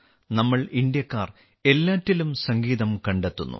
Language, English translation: Malayalam, We Indians find music in everything